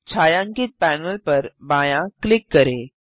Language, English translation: Hindi, Left click the shaded panel